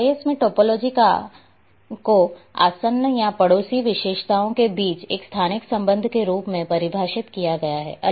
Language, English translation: Hindi, Topology in GIS is as defined as I have already mentioned special relationship between adjacent or neighbouring features